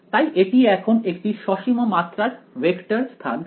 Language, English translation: Bengali, So, it becomes a finite dimensional vector space ok